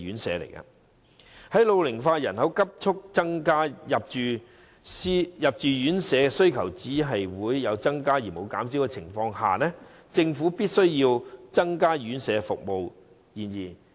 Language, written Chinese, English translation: Cantonese, 在老齡化人口急速增加，入住院舍需求有增無減的情況下，政府必須增加院舍服務。, Given the rapid rise in elderly population and the constant increase in demand for residential care home places the Government must increase residential care services